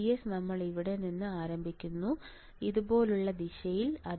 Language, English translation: Malayalam, VDS we start from here VDS and in direction like this